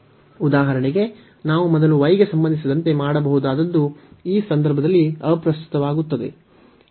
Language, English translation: Kannada, For example, we could do with respect to y first does not matter in this case